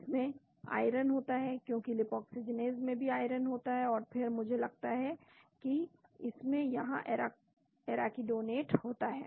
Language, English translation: Hindi, It contains iron, because Lipoxygenase contains iron also and then I think it contains arachidonate here